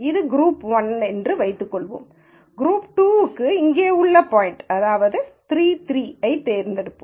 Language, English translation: Tamil, And let us assume this is what is group 1 and let us assume that for group 2, we choose point 3 3 which is here